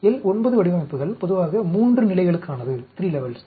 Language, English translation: Tamil, L 9 designs are generally for 3 levels, minus 1, 0, 1